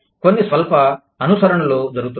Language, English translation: Telugu, Some slight adaptations, are being done